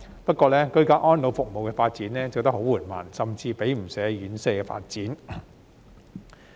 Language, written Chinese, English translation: Cantonese, 不過，居家安老服務的發展很緩慢，甚至比不上院舍發展。, Yet the development of ageing - in - place services is so slow that it has been outpaced by the development of residential care